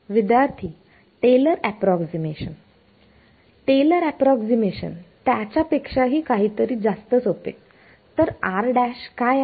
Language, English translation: Marathi, Taylor approximation Taylor approximation something even simpler than that; so, what is r prime